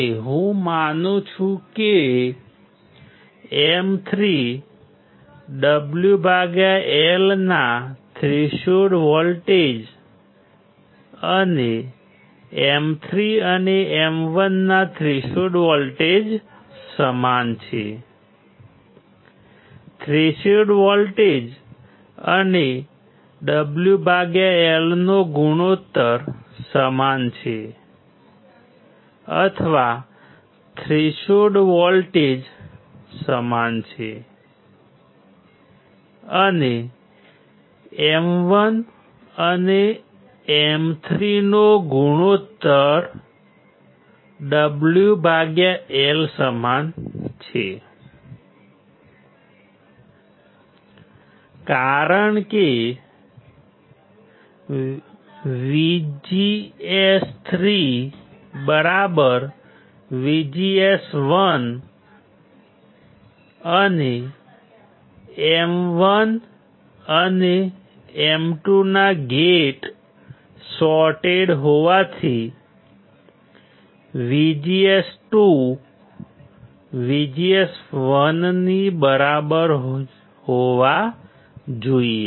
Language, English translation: Gujarati, And I assume that my threshold voltage of M 3, W by L and threshold voltage of M 3 and M 1 is same , threshold voltage and W by L ratio are same or threshold voltage is same and W by L ratio is same, of what M1 and M 3 in this case, since VGS 3 equals to VGS1, and since gates of M1 and M 2 are shorted, since M1 and M 2 are shorted; that means, that VGS 2 should be equals to VGS1